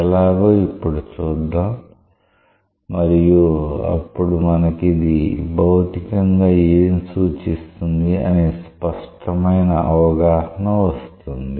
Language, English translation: Telugu, Let us see and that will give us a fair idea of what physically it tries to represent